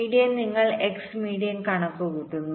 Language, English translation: Malayalam, so the red point is your x median median